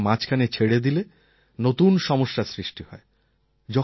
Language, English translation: Bengali, If we leave the treatment midway, it can create new complications for us